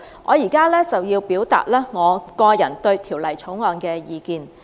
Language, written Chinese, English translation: Cantonese, 我現在表達個人對《條例草案》的意見。, Here below I will express my personal views on the Bill